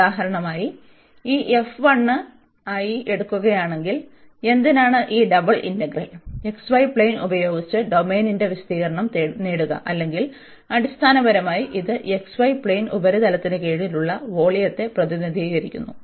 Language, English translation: Malayalam, So, in that case the area of D if we for example take this f to be 1, so why with this double integral, we can get the area of the domain in the x, y plane or basically this represents the volume under that surface over the x, y plane well